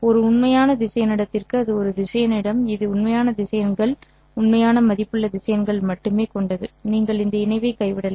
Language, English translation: Tamil, For a real vector space that is a vector space that is consisting of only real vectors, real valued vectors, you can drop this conjugate